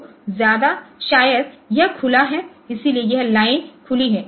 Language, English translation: Hindi, So, maybe it is open so this line is this line is open